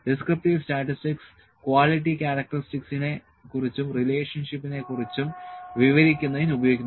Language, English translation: Malayalam, Descriptive statistics are these are used to describe the quality characteristics and relationships